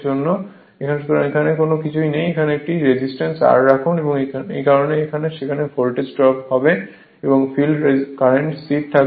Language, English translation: Bengali, So, nothing is there actually, you put a resistance R capital R and this because of that there will be voltage drop and field current remain constant